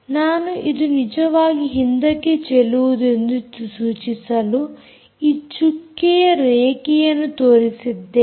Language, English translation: Kannada, i have shown this dotted line to indicate that this is really back scatter